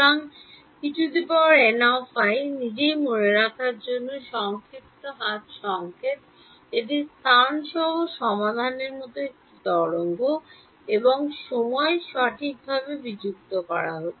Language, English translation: Bengali, And this E n i itself is short hand notation for remember it is a wave like solution with space and time being discretized right